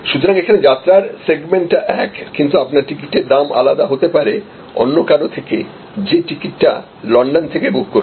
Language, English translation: Bengali, So, you are, though the two segments are same, but your price may be different compare to somebody who buying the ticket in London